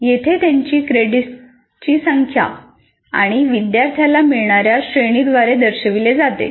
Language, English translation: Marathi, Here they are characterized by the number of credits and the grade that a student gets